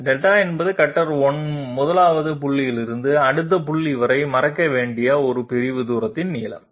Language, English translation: Tamil, Delta is the length of this segmental distance that the cutter is supposed to cover from the 1st point to the next point